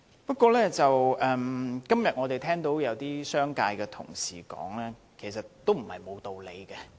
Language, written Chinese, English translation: Cantonese, 不過，今天有些代表商界的同事的發言，也不無道理。, However some Honourable colleagues from the business sector have delivered well - grounded speeches